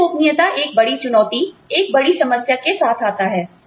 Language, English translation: Hindi, Pay secrecy comes with, a big challenge, a big problem